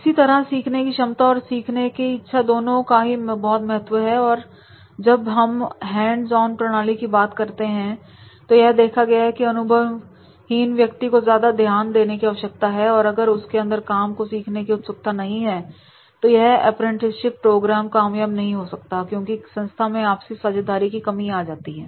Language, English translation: Hindi, Similarly, the learner's ability and learners willingness both are very, very important whenever we talk about hands on methods because the person is inexperience and then in that case he needs more attention and if he is not that much keen to learn or he is not able to develop a repo at the workplace then this type of the apprenticeship programs they are not becoming successful